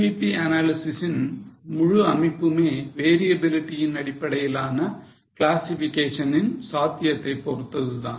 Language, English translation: Tamil, The whole structure of CVP analysis is based on the possibility of classification as per the variability